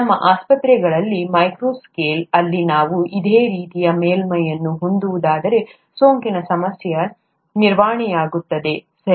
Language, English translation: Kannada, If we can have a similar surface at the micro scale in our hospitals, then the problem of infection is obviated, right